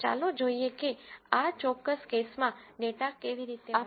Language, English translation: Gujarati, Let us see how to read the data in this particular case